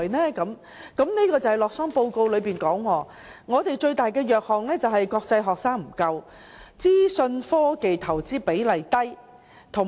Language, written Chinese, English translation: Cantonese, 洛桑的全球競爭力報告指出，我們最大的弱點是國際學生不足，以及資訊科技的投資比例低。, The global competitiveness rankings from Lausanne points out that our greatest weakness is the lack of international students and a low proportion of investment in information technology